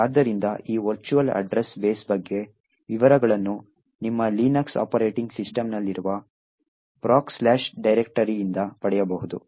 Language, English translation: Kannada, So, details about this virtual address base can be obtained from the proc directory present in your Linux operating systems